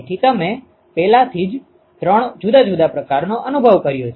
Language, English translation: Gujarati, So you already experienced three different types